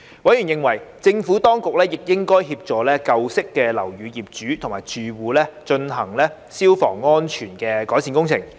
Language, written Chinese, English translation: Cantonese, 委員認為，政府當局亦應協助舊式樓宇的業主及住戶進行消防安全改善工程。, Members considered that the Administration should also assist owners and occupants of old buildings to carry out fire safety improvement works